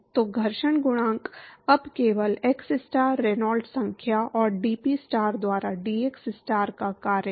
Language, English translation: Hindi, So, the friction coefficient is now function of only xstar, Reynolds number and dPstar by dxstar